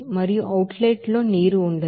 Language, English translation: Telugu, And in the outlet there will be no water